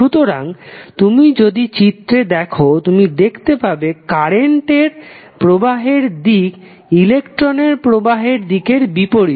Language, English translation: Bengali, So, if you see the figure you will see that the flow of current is opposite to the direction of flow of electrons